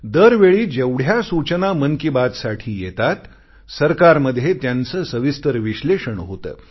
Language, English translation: Marathi, Every time the inputs that come in response to every episode of 'Mann Ki Baat', are analyzed in detail by the government